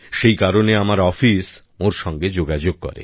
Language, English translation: Bengali, So my office contacted the person